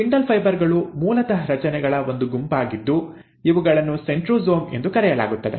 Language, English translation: Kannada, The spindle fibres are basically a set of structures which are formed by what is called as the centrosome